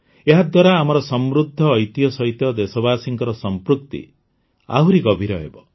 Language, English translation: Odia, This will further deepen the attachment of the countrymen with our rich heritage